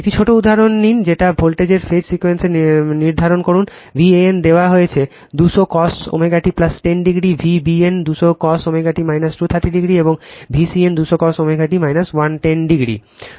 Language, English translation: Bengali, Take a small example, determine the phase sequence of the set voltages, V a n is given 200 cos omega t plus 10 degree, V b n 200 cos omega t minus 230 degree, and V c n 200 cos omega t minus 110 degree 110 degree right